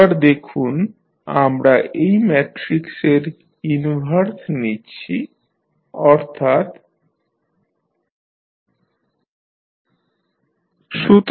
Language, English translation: Bengali, Now, if you see we are taking the inverse of this matrix that is sI minus A